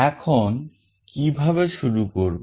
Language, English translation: Bengali, Now, how to start